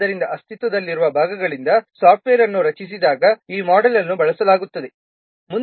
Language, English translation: Kannada, So this model is used when software is composed from existing parts